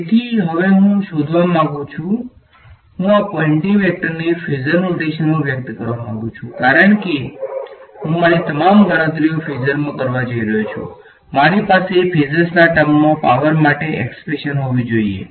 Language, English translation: Gujarati, So, I want to now find out, I want to express this Poynting vector in a phasor notation because I am going to do all my calculations in phasor I should have an expression for power in terms of the phasors right